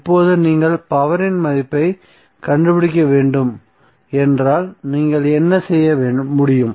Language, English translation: Tamil, Now if you need to find out the value of power what you can do